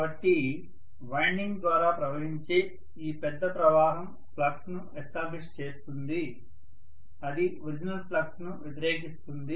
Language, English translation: Telugu, So this large current flowing through the winding will establish a flux which will be actually opposing the original flux